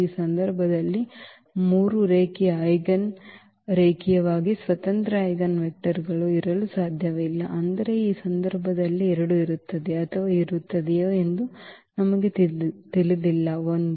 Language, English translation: Kannada, There cannot be three linearly eigen linearly independent eigenvectors for example, in this case, but we do not know whether there will be 2 or there will be 1